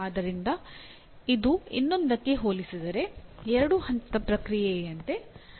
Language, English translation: Kannada, So this looks like a two step process compared to the other one